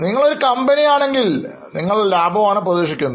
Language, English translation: Malayalam, If you are a company obviously you would be looking for the profit